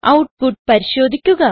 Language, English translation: Malayalam, Check the output